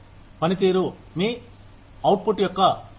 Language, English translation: Telugu, Performance, is a measure of your output